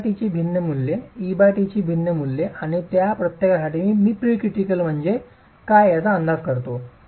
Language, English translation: Marathi, Different values of H by T, different values of E by T and for each of those I estimate what is the P critical